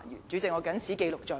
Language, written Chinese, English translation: Cantonese, 主席，我謹此記錄在案。, President I would like to put this on record